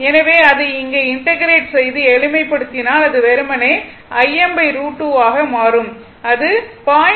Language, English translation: Tamil, If you integrate and simplify, it will simply become I m by root 2 that is 0